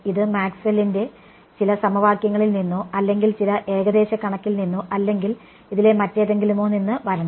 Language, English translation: Malayalam, It has to come from some Maxwell’s equations or some approximation or something of this are